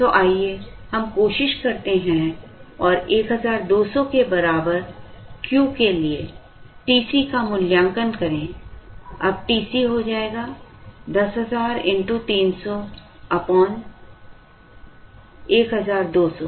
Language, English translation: Hindi, So, let us try and evaluate the TC for Q equal to 1200, now TC will become 10000 into 300 divided by 1200